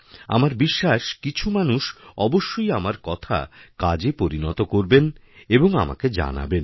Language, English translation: Bengali, I believe some people will put them to use and they will tell me about that too